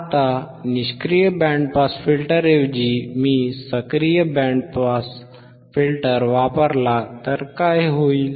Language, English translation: Marathi, Now instead of passive band pass, if instead of passive band pass if I use if I use a active band pass filter if I use an active band pass filter,